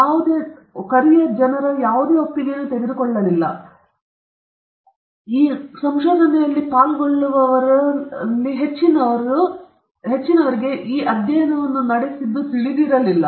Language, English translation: Kannada, And no consent was taken, because many of these participants did not know for what this study was conducted